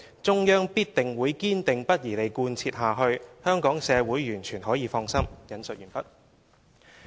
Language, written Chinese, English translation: Cantonese, 中央必定會堅定不移地貫徹下去。香港社會完全可以放心。, The Hong Kong community can completely rest assured that the Central Government remain firmly committed to upholding this principle